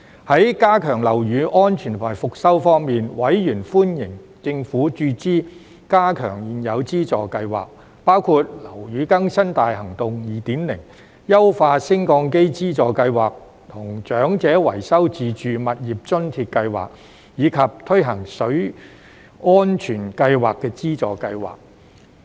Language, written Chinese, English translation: Cantonese, 在加強樓宇安全和復修方面，委員歡迎政府注資加強現有資助計劃，包括樓宇更新大行動 2.0、優化升降機資助計劃和長者維修自住物業津貼計劃，以及推行水安全計劃資助計劃。, As to efforts in enhancing building safety and rehabilitation in Hong Kong Members generally welcomed the Governments injection for enhancing all existing subsidy schemes including the Operation Building Bright 2.0 Lift Modernisation Subsidy Scheme and Building Maintenance Grant Scheme for Elderly Owners; in addition to the launching of the Water Safety Plan Subsidy Scheme